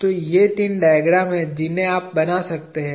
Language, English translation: Hindi, So, these are three diagrams that you can draw